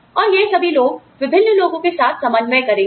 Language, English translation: Hindi, And all of these, people will be coordinating, with different people